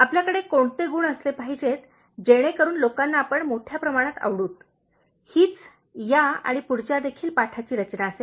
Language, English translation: Marathi, what qualities should you possess so that people by and large will like you, that will be the focus of this lesson and the next lesson also